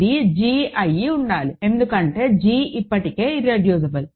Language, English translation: Telugu, It must be g right, because g is already irreducible